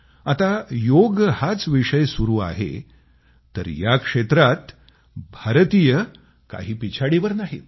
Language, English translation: Marathi, If there is a topic related to yoga, then can Indians lag behind others